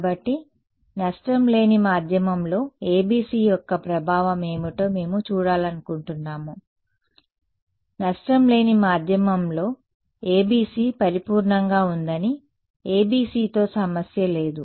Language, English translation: Telugu, So, we want to see what is the impact of the ABC in a lossy medium we saw that in a loss free medium ABC was perfect no problem with ABC ok